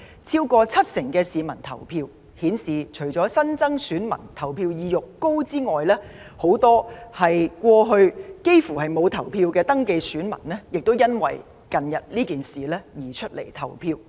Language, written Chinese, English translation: Cantonese, 超過七成登記選民投票，顯示除了新增選民投票意欲高漲外，很多過去從不投票的登記選民也因為近日的事件而出來投票。, More than 70 % of the registered electors have come out to vote . It shows that besides the heightened willingness of newly registered electors to vote many registered electors who did not vote in the past have also come out to vote because of the recent events